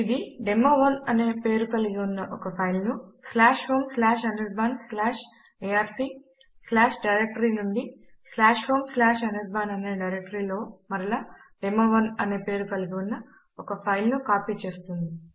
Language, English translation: Telugu, This will again copy the file demo1 presenting the /home/anirban/arc/ directory to /home/anirban directory to a file whose name will be demo1 as well